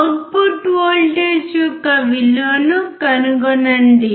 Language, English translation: Telugu, Find out the value of the output voltage